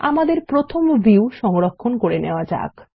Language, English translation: Bengali, Let us save our first view